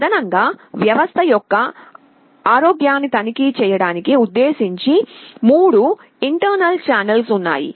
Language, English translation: Telugu, And in addition there are 3 internal channels that are meant for checking the health of the system